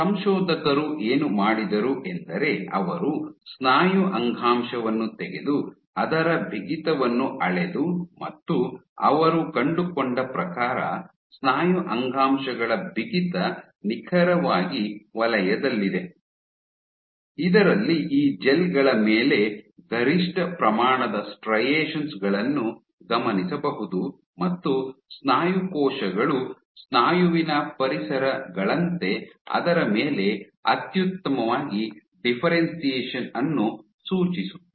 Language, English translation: Kannada, What the authors did was they excise muscle tissue and measured it is stiffness, and what the authors found was the stiffness of muscle tissue was exactly in the zone in which maximum amount of striations was observed on these gels suggesting that muscle cells differentiate optimally on muscle like environments